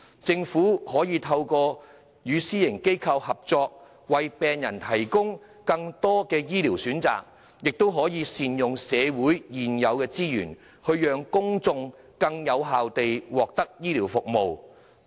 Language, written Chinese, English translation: Cantonese, 政府可透過與私營醫療機構合作，為病人提供更多的醫療服務選擇，同時善用社會現有資源，令公眾更有效地獲得醫療服務。, Through partnership with private medical institutions the Government can provide patients with more healthcare service options while optimizing the use of existing resources thereby enabling the public to access healthcare services in a more effective manner